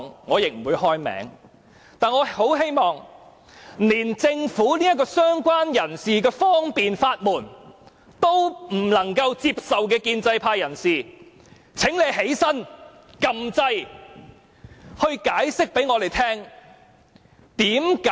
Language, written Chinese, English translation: Cantonese, 我很希望連政府為"相關人士"所設的這道方便之門也不能接受的建制派人士會站起來，按下"要求發言"按鈕，向我們作出解釋。, I very much hope that those Members of the pro - establishment who cannot even accept this door of convenience put in place by the Government for related person will press the Request to speak button rise and give us an explanation